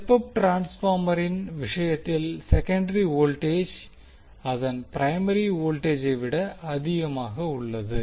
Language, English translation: Tamil, Whereas in case of step up transformer the secondary voltage is greater than its primary voltage